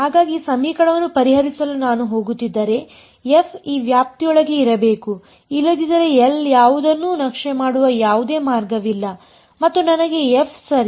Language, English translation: Kannada, The range right; so if I am going to be able to solve this equation f should be inside this range, otherwise there is no way that L will map anything and get me f alright